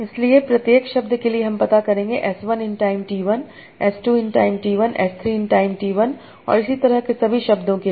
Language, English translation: Hindi, So, for each word I will find out as 1 in time T1, H2 in time T1, S3 in time T1, and so on